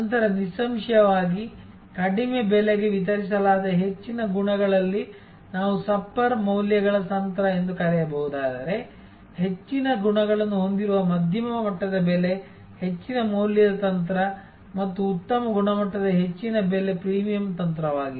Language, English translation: Kannada, Then; obviously, if the, at high qualities delivered at low price that we can call the supper values strategy, a medium level pricing with high qualities, high value strategy and high price with high quality could be the premium strategy